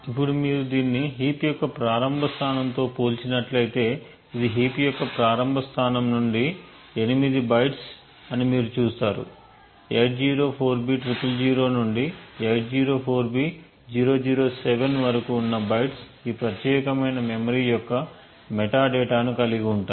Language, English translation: Telugu, Now if you compare this with a start location of heap, you see that it is 8 bytes from the starting location of the heap, the bytes 804b000 to 804007 contains the metadata for this particular chunk of memory